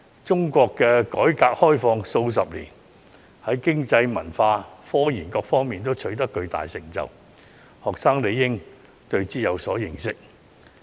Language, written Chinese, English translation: Cantonese, 中國改革開放數十年，在經濟、文化、科研等各方面皆取得巨大成就，學生理應有所認識。, After decades of reform and opening up China has made huge economic cultural and scientific achievements which students should know